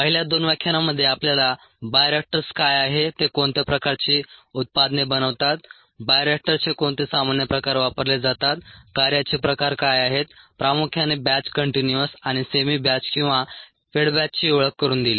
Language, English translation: Marathi, in the first two lectures we got introduced to what bioreactors where, what kind of products they make, what are the common types of bioreactors that i used, what are the modes of operation predominantly batch, continuous and semi batch or fed batch